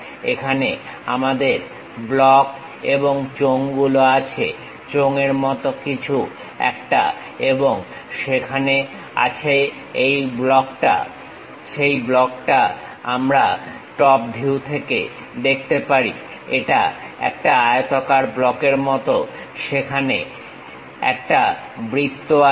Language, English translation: Bengali, Here we have a block and cylinders, something like a cylinder and there is a block, that block we can see it in the top view it is something like a rectangular block, there is a circle